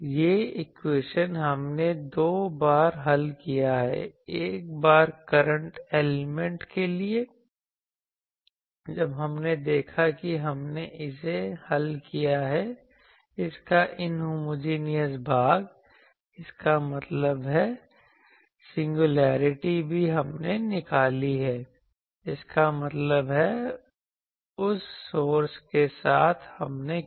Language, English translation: Hindi, I tell you once for current element when we saw we have solved it, the inhomogenous part; that means, the singularity also we extracted; that means, with that source we did